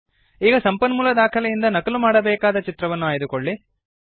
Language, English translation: Kannada, Now select the image from the source file which is to be copied